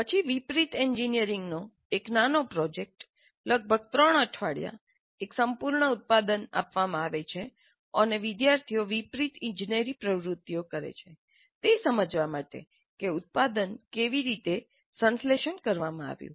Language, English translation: Gujarati, Then a small project in reverse engineering, a completed product is given and the students do the reverse engineering activities in order to understand how the product was synthesized